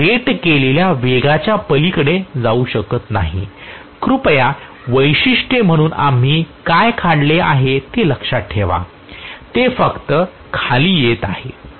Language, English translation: Marathi, I cannot go beyond rated speed, please remember what we have drawn as the characteristics, it is only coming below it cannot go above that is what I am trying to say